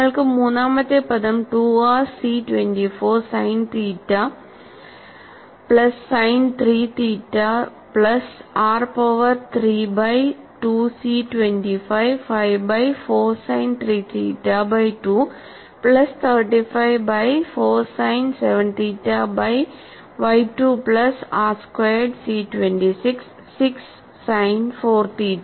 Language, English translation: Malayalam, third term is, 2 r C 3424 sin theta plus sin 3 theta plus r power 3 by 2 C 255 by 4 sin 3 theta by 2 plus 35 thirty five by 4 sin 7 theta by 2 plus r squared C 266 sin 4 theta